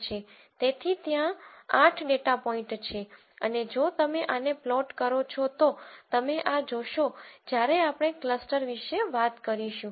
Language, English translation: Gujarati, So, there are 8 data points and if you simply plot this you would you would see this and when we talk about cluster